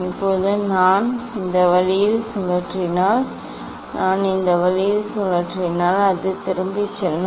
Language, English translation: Tamil, now, if I rotate this way it is going back if I rotate this way also it is going back